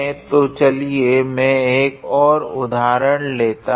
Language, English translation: Hindi, So, let me consider an another example